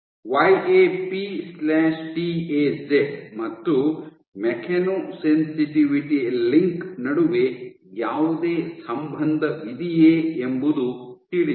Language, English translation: Kannada, Whether there is any association between YAP/TAZ and Mechanosensitivity is unknown the link is unknown